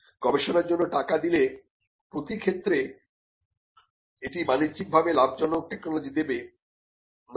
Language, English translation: Bengali, So, giving fund for research it need not in all cases result in commercially viable technology